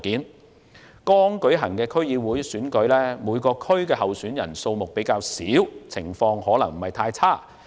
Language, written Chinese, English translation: Cantonese, 在剛舉行的區議會選舉，每個選區的候選人數目較少，有關情況可能不太嚴重。, In the District Council Election that just held the situation might not be too serious as there were few candidates in each constituency